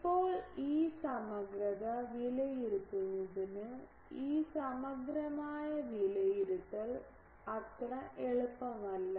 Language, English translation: Malayalam, Now, to evaluate this integral this integral evaluation is not so easy